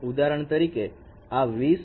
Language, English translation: Gujarati, So, for example, this is 2020, 2020